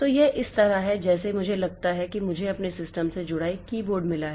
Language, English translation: Hindi, Suppose I have got a keyboard connected to my system